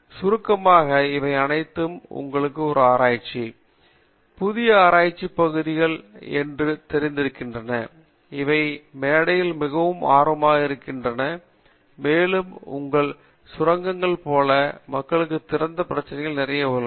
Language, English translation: Tamil, In nutshell, these are all some of the you know research, new research areas, these are very nascent in stage and there lot of gold mine of open problem for people